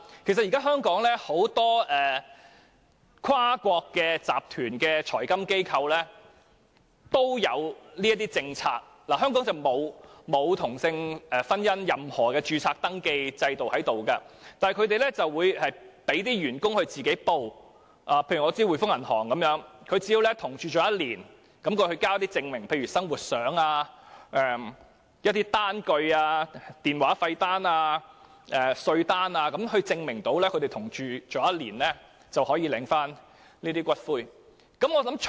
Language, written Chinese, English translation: Cantonese, 其實現時香港有很多跨國集團的財金機構亦設有這些政策，雖然香港沒有任何同性婚姻的登記制度，但它們會讓員工自行申報，舉例而言，我知道滙豐銀行的員工只要與同伴已同住1年，並提供證明，例如生活照片、電話費單、稅單等，證明已經同住1年，便符合領取福利的資格。, As a matter of fact now many financial institutions of multinational groups have put such a policy in place . Despite the lack of any registration system for same - sex marriage in Hong Kong they allow their staff to make self - declaration . For example I know that in The Hongkong and Shanghai Banking Corporation Limited if an employee has lived with his partner for a year and can produce evidence such as photos of their daily life telephone bills tax demand notes etc